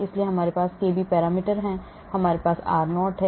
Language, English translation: Hindi, so we have parameters kb, we have r0